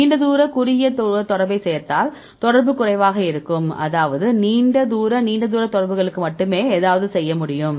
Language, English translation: Tamil, If add the long range short range contact then the correlation is less; that means, there is something to do with only for the long range long range contacts right